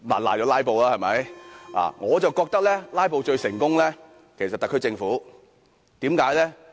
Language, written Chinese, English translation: Cantonese, 可是，我認為"拉布"最成功的其實是特區政府。, Yet I think the filibuster by the SAR Government has been the most successful